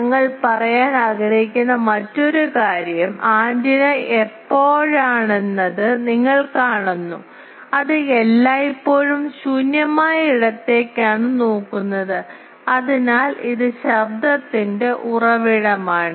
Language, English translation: Malayalam, And another thing we wanted to say is about the noise that, you see antenna whenever it is, it is always looking towards the free space and so it is a source of noise